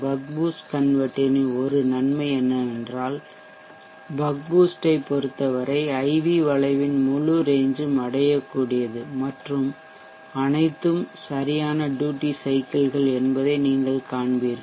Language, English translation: Tamil, One advantage with the bug boost is that, for the bug boost the entire range of the IV curve is reachable and you will see that all are valid duty cycles